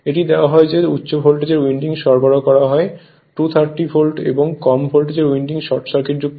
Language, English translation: Bengali, It is given that is the high voltage winding is supplied at 230 volt with low voltage winding short circuited